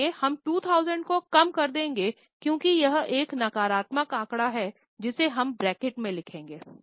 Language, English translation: Hindi, Now we are going to reverse it so we will reduce 2000 because it is a negative figure we will write it in bracket